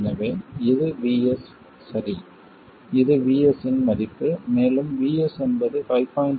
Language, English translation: Tamil, This is the value of VS and VS in this case is 5